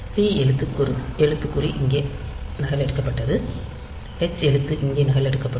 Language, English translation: Tamil, So, t character was copied there h character will be copied here